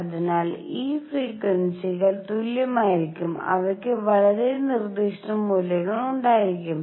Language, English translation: Malayalam, So, those frequencies are going to be equal and they are going to have very specific values